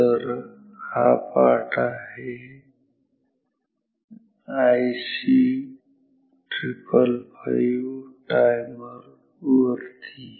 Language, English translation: Marathi, So, the topic is IC triple 5 or 555 timer